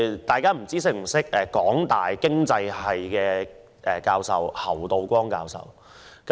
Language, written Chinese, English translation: Cantonese, 大家是否認識香港大學經濟金融學系侯道光教授？, I wonder if Members have heard of Prof Timothy HAU of the School of Economics and Finance the University of Hong Kong